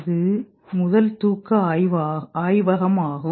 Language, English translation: Tamil, This was the first sleep lab